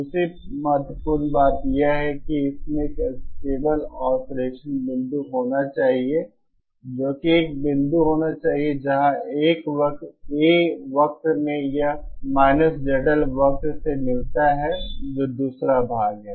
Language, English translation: Hindi, The second important thing is that it should have a stable oscillating point that is there should be a point where this Z in A curve meets the Z L curve that is the second part